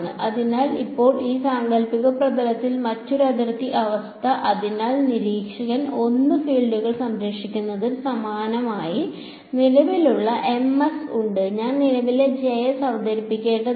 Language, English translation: Malayalam, So, now, this hypothetical surface has a current M s similarly to save the other boundary condition I will have to introduce the current Js